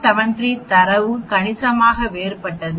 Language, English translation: Tamil, 73 the data is significantly different